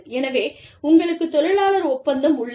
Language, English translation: Tamil, So, you have a labor contract